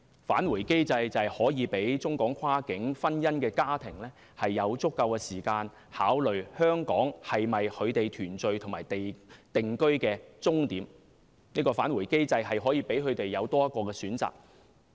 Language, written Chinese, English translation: Cantonese, "返回機制"便可以讓中港跨境婚姻家庭有足夠時間，考慮香港是否他們團聚和定居的終點，"返回機制"可以讓他們有多一個選擇。, A return mechanism may provide families of cross - boundary marriages with adequate time to consider if Hong Kong is the final destination for their reunion and settling down . A return mechanism can allow them to have another option